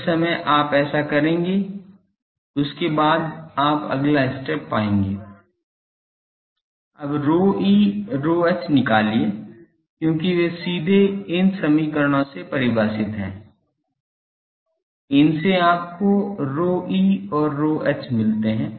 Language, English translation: Hindi, The moment you do that then you will find next step is you will get here find rho e rho h, because they are directly from the defining things from these equations you get rho e and rho h